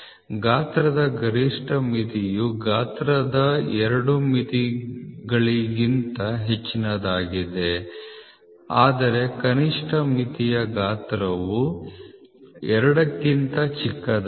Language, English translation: Kannada, The maximum limit of size is greater of the two limits of size, whereas the minimum limit size is the smaller of the two